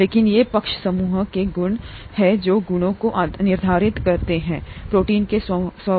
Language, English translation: Hindi, But these are the properties of the side groups that determine the properties of the proteins themselves